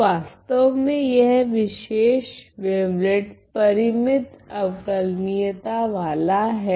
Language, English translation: Hindi, So, the in fact, this particular wavelet is infinitely differentiable